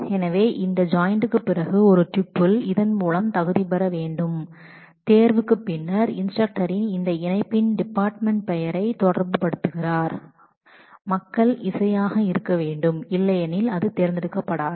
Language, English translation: Tamil, So, in this after this joint if a tuple has to qualify through this selection then the instructors in the instructor relation the department name of that join people must be music otherwise it will not get selected